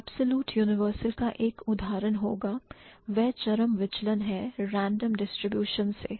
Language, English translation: Hindi, An example of an absolute universal would be that is an extreme deviation from the random distribution